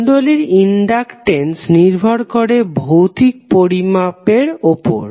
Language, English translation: Bengali, Inductance of inductor depends upon the physical dimension also